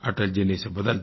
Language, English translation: Hindi, Atalji changed it